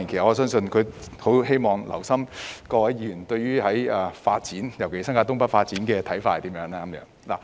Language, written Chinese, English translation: Cantonese, 我相信他是希望留心聽取各議員對於發展，尤其新界東北發展的看法。, I believe he wishes to listen carefully to Members views on development especially the development of North East New Territories